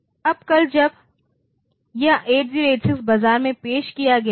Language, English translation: Hindi, Now, tomorrow when this 8086 was introduced into the market